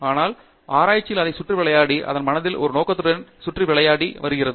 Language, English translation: Tamil, But, research is not just about playing around it, its playing around with a purpose in mind